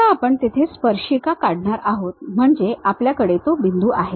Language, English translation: Marathi, Now, we are going to draw a tangent there so that means, we have that point